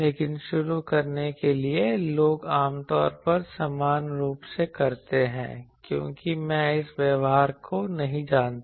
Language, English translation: Hindi, But to start with people generally equally do because I do not know that this behavior